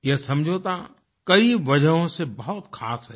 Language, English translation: Hindi, This agreement is special for many reasons